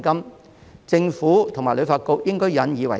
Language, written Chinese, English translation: Cantonese, 對此，政府和旅發局應引以為鑒。, The Government and HKTB should learn a lesson from it